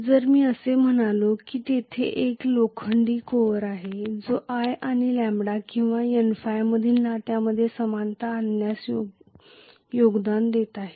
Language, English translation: Marathi, If I say that there is an iron core which is contributing to non linearity between the relationship between i and lambda or N phi